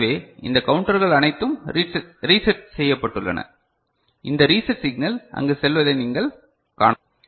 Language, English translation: Tamil, So, these counters are all reset; you can see this reset signal going there ok